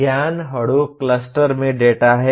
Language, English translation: Hindi, Knowledge is data in Hadoop cluster